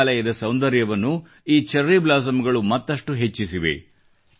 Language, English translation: Kannada, These cherry blossoms have further enhanced the beauty of Meghalaya